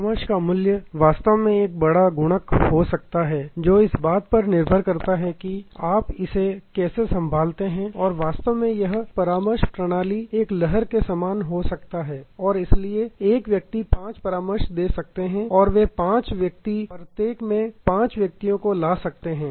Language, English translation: Hindi, The value of referrals can be actually a big multiplier depending on how you handle it and actually this referral system can be a ripple and therefore, one person can refer five persons and those five persons can bring in five each